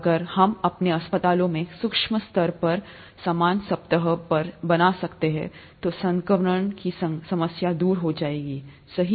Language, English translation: Hindi, If we can have a similar surface at the micro scale in our hospitals, then the problem of infection is obviated, right